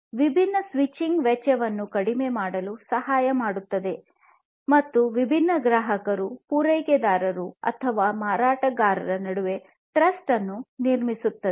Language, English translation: Kannada, This basically will help in reducing the switching cost, and also improving building the trust between these different customers and the suppliers or the vendors